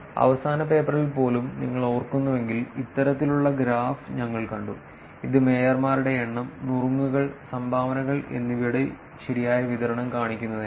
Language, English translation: Malayalam, If you remember even in the last paper, we saw this kind of graphs, which is to show the cumulative distribution of the number of the mayors, tips and dones right